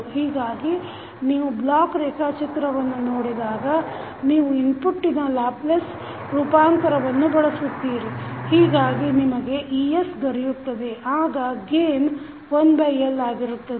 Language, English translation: Kannada, So, if you see the block diagram, you use the Laplace transform of the input, so you get es then gain is 1 by L this is the summation block